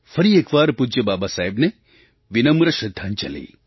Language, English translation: Gujarati, Once again my humble tribute to revered Baba Saheb